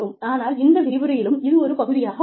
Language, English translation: Tamil, But, this can also be, a part of this lecture